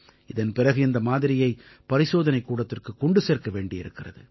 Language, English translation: Tamil, After that the sample reaches the lab